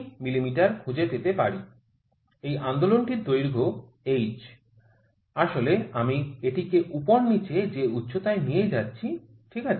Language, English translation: Bengali, 3 mm, this movement this is length of h actually you know I am moving it up and down this height, ok